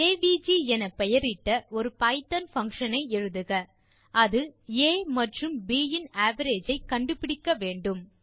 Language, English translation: Tamil, Write a python function named avg which computes the average of a and b